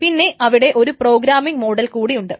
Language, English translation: Malayalam, Then Then there is a programming model